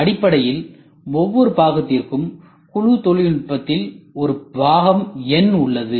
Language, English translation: Tamil, So, basically in group technology for every part if you see there is a part number